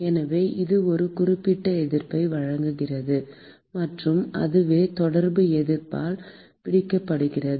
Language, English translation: Tamil, And therefore that offers a certain resistance and that is what is captured by the Contact Resistance